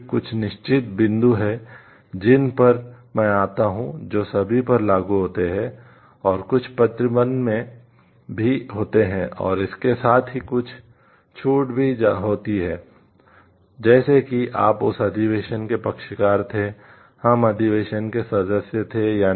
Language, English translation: Hindi, There are certain points which are common which are applicable to all, and there are certain restrictions and also correspondingly there are certain relaxations also as for whether you were party to that convention we were member to the convention or not